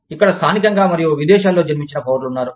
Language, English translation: Telugu, From here, there are citizens, that are native born, and foreign born